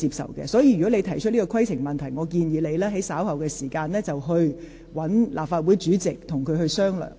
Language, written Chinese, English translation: Cantonese, 所以，郭議員，如果你有此規程問題，我建議你稍後與立法會主席商討。, I thus will suggest Mr KWOK to discuss later with the President of the Legislative Council on his point of order